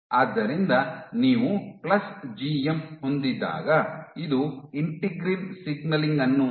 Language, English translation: Kannada, So, when you had plus GM this leads to inhibition of integrin signaling